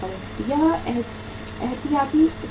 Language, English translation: Hindi, That is the precautionary situation